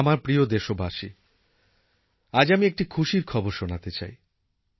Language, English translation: Bengali, My dear countrymen I want to share good news with you